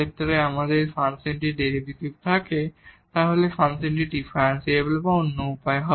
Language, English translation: Bengali, The next we will see that if the derivative exists that will imply that the function is differentiable